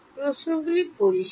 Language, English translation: Bengali, The questions clear